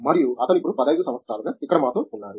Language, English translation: Telugu, And, he has been with us here for over 15 years now